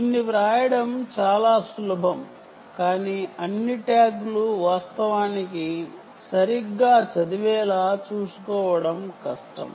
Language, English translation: Telugu, its very easy to write this, but difficult to ensure that all tags are actually read right